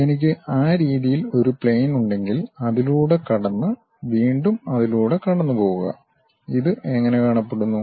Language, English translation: Malayalam, If I am having a plane in that way, pass through that and again pass through that; how it looks like